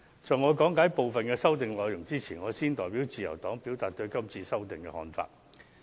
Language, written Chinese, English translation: Cantonese, 在講解部分修訂內容前，我先行代表自由黨表達對今次修訂的看法。, Before proceeding to elaborate on the contents of the amendments I will first represent the Liberal Party to express our views concerning the current amendment exercise